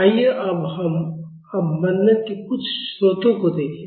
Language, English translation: Hindi, Now, let us see some of the sources of damping